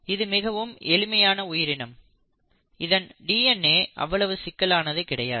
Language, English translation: Tamil, So you find that though it is a very simple organism the DNA is not really as complex